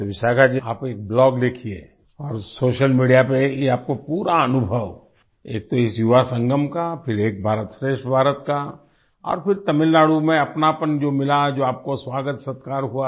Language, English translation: Hindi, So Vishakha ji, do write a blog and share this experience on social media, firstly, of this Yuva Sangam, then of 'Ek BharatShreshth Bharat' and then the warmth you felt in Tamil Nadu, and the welcome and hospitality that you received